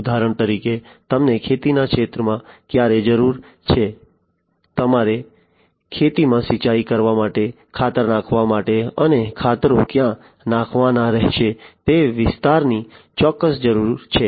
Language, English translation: Gujarati, For example, when it is you know when do you need in the agricultural field, when do you need precisely to irrigate the field, to put fertilizers in the field, and exactly the area, where the fertilizers will have to be applied